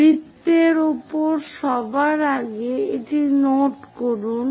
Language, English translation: Bengali, On the circle first of all note it down